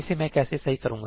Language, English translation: Hindi, How do I fix this